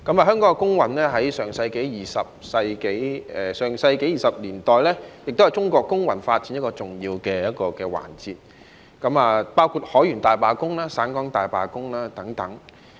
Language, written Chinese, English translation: Cantonese, 香港工運在上世紀20年代是中國工運發展的一個重要環節，包括海員大罷工及省港大罷工等。, In the 1920s the labour movement in Hong Kong including the seamens strike and the Canton - Hong Kong Strike played an integral role in the development of the Chinese labour movement